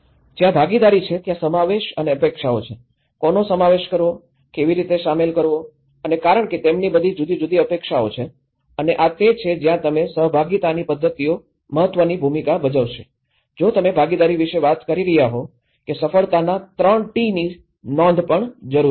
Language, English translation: Gujarati, Inclusion and expectations and that is where the participation, whom to include, how to include and because they have all different expectations and this is where the participatory methods play an important role if you are talking about participation that there is also a note of successful 3 T’s